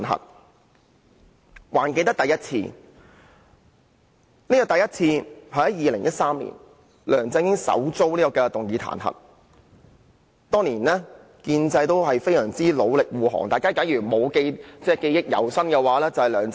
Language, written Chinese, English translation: Cantonese, 我還記得第一次彈劾是在2013年發生的，梁振英首次遭議員提出彈劾議案，當年建制派議員亦同樣努力護航。, I still remember that Members moved the first impeachment motion against LEUNG Chun - ying in 2013 . At that time Members of the pro - establishment camp had also exerted their best effort to defend him